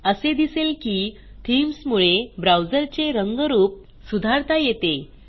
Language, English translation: Marathi, So you see, Themes help to improve the look and feel of the browser